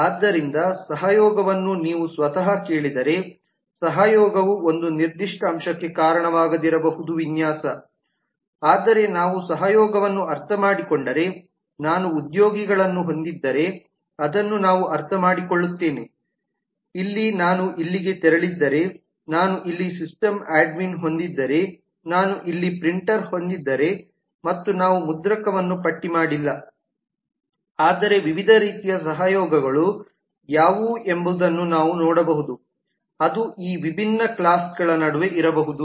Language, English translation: Kannada, so collaboration if you ask collaboration by itself may not result into a specific aspect of the design, but if we understand the collaboration then we understand that if i have employees here, if i have leave here, if i have system admin here, if i have printer here and so on we have not listed the printer, but then we can see what are the different types of collaborations that may exist between these different classes